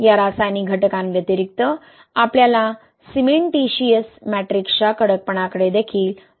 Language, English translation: Marathi, Apart from these chemical factors, we need to also pay attention to stiffness of the cementitious matrix, right